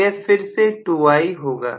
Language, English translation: Hindi, So this will be again 2I